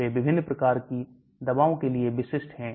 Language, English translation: Hindi, they are specific for different types of drugs